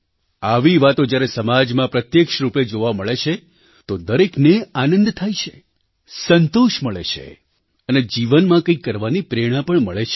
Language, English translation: Gujarati, And when such things are witnessed firsthand in the society, then everyone gets elated, derives satisfaction and is infused with motivation to do something in life